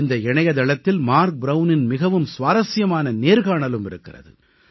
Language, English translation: Tamil, You can also find a very interesting interview of Marc Brown on this website